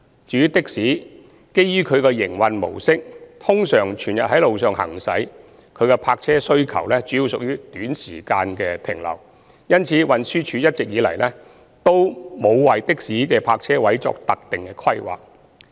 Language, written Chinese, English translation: Cantonese, 至於的士，基於其營運模式，通常全日在路上行駛，其泊車需求主要屬短時間停留，因此，運輸署一直以來均沒有為的士的泊車位作特定規劃。, As for taxis given their mode of operation they generally operate on the road round the clock and their parking demand is mainly for short duration stay . Hence all along TD has not made specific planning for parking provision for taxis